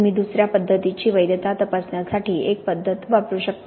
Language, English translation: Marathi, You can use one method to check the validity of another method